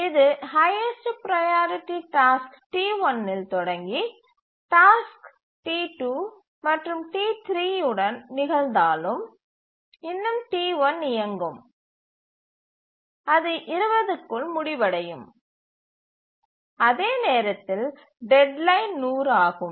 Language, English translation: Tamil, T1 is the highest priority task and even if it occurs with T2, T3, T1 will run and it will complete by 20, whereas the deadline is 100